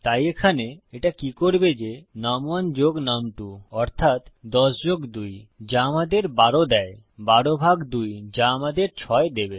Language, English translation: Bengali, So, here what it will do is num1 plus num2 which is 10 plus 2 which gives us 12 divided by 2 which should give us 6